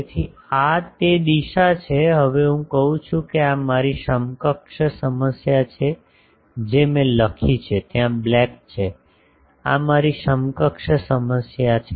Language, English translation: Gujarati, So, this is my direction of that, now I say that this is my equivalent problem I have written it where is the black, this is my equivalent problem